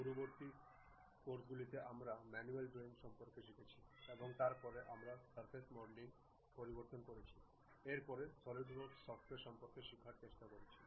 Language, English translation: Bengali, In the earlier classes, we learned about manual drawing and after that we have introduced surface modeling then went try to learn about Solidworks software